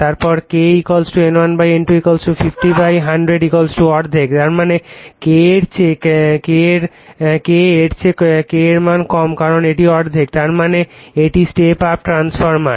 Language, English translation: Bengali, Then K = N1 / N2 = 50 / 100 = half; that means, K less than that is your K less than because it is half; that means, it is step up transformer